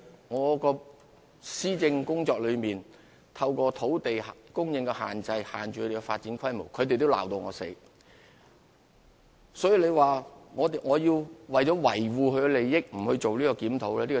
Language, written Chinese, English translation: Cantonese, 我們在施政工作中，透過管理土地供應，限制他們的發展規模，為此，他們也把我罵個半死。, We restrain their development scale through managing land supply in our policy administration and they have scolded me hard for that